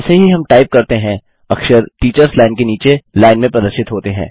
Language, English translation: Hindi, As we type, the characters are displayed in the line below the Teachers line